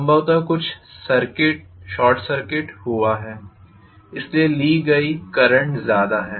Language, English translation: Hindi, Something has been short circuited probably, so the current drawn is heavy